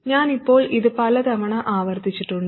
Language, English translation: Malayalam, I have repeated this many times by now